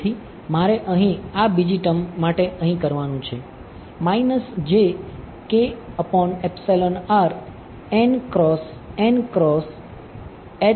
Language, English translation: Gujarati, So, all I have to do over here for this second term over here, this is what will happen right